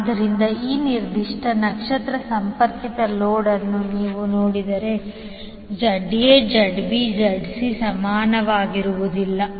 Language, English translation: Kannada, So if you see this particular star connected load, ZA, ZB, ZC are not equal